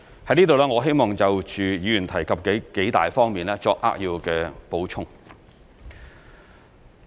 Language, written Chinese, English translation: Cantonese, 在此，我希望就議員提及的數方面作扼要補充。, Here I wish to add some brief remarks on several points brought up by Members